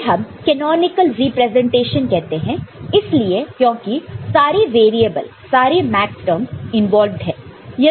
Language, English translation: Hindi, So, this is also called canonical representation because all the variables all the maxterms are involved